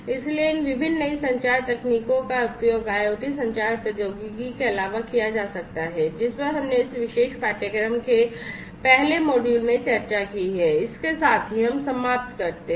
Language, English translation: Hindi, So, these different newer communication technologies could be used in addition to the IoT communication technology that we have discussed in the first you know in the first module of this particular course, so with this we come to an end